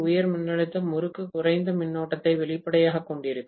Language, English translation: Tamil, High voltage winding will have lower current obviously